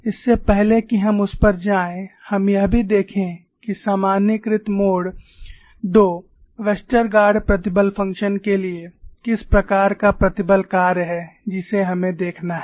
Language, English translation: Hindi, Before we go into that, let us also look at what is the kind of stress function for the generalized mode 2 Westergaard stress function that we have look at